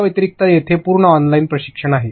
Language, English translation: Marathi, Apart from this, there are complete online trainings